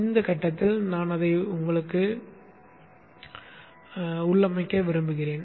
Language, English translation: Tamil, At this point I would like to configure it